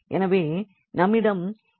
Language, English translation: Tamil, So, we have X s minus 1